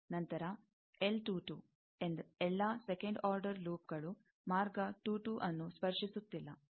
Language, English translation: Kannada, Then, L 2 2, all second order loops not touching path 2 2, etcetera